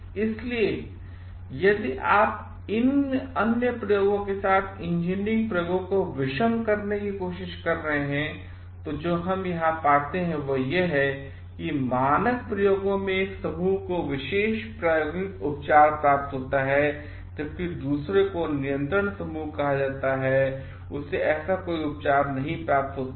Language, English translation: Hindi, So, if you are trying to contrast engineering experiments with other experiments, what we find here is that in standard experiments one group receives the special experimental treatment while the other is called a control group does not receive any such treatment